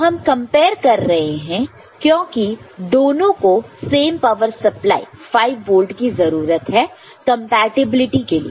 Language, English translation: Hindi, So, we are comparing because both need to have being you know, same power supply 5 volt for the compatibility